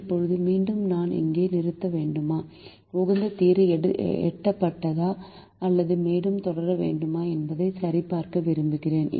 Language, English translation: Tamil, now again we want to check whether we have to stop here, whether the optimum solution is reached or whether we need to proceed further